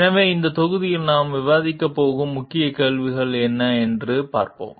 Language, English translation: Tamil, So, let us see what are the Key Questions that we are going to discuss in this module